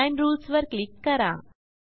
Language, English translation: Marathi, Click on Design Rules